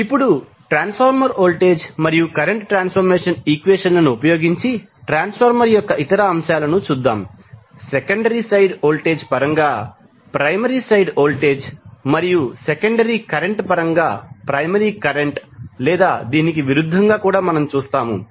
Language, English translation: Telugu, Now, let us see other aspects of the transformer using transformer voltage and current transformation equations, we can now represent voltage that is primary site voltage in terms of secondary site voltage and primary current in terms of secondary current or vice versa